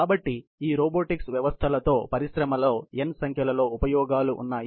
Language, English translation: Telugu, So, there is n number of applications in the industry for these robotics systems